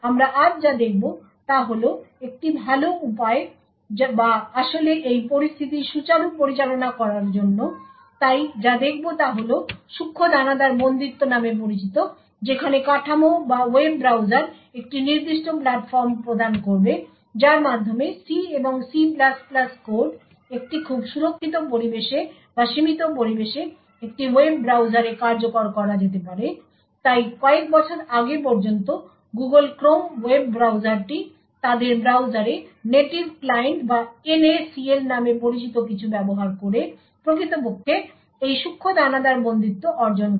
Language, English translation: Bengali, What we will be seeing today is a better way or to actually handle this situation, so what will be looking at is something known as Fine grained confinement where the framework or the web browser would provide a particular platform by which C and C++ code can be executed in a web browser in a very protected environment or in a very confined environment, so till a few years back the Google Chrome web browser used some use something known as Native Client or NACL in their browsers to actually achieve this Fine grained confinement